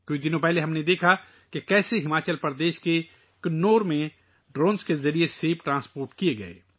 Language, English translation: Urdu, A few days ago we saw how apples were transported through drones in Kinnaur, Himachal Pradesh